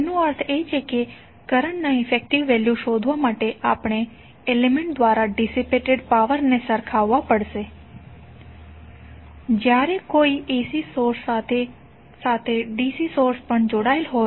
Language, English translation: Gujarati, It means that to find out the effective value of current we have to equate the power dissipated by an element when it is connected with AC source and the DC source